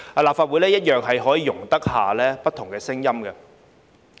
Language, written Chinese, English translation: Cantonese, 立法會一樣容得下不同聲音。, The Legislative Council is just as tolerant of different voices